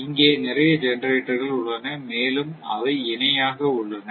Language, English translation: Tamil, So, in this case, so many generators are there and they are in parallel